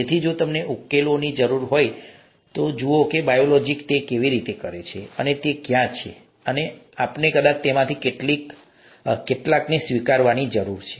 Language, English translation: Gujarati, So if you need solutions, just look at how biology does it, and it is there and we probably need to adapt to some of those